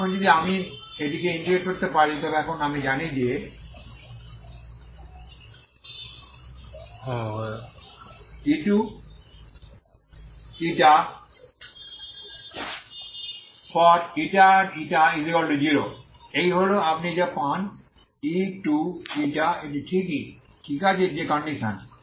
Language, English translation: Bengali, Now if this one I can integrate so now I know that u2η( η,η)=0 is this is what you get u2ηof this is same that is, okay that is the condition